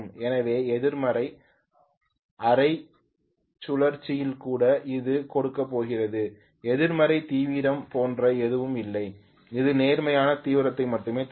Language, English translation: Tamil, So even in the negative half cycle it going to give there is nothing like a negative intensity, it will give only positive intensity